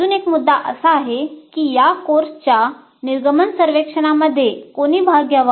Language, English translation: Marathi, And another issue is that who should participate in this course exit survey